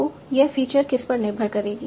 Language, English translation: Hindi, So what would this width or feature depend on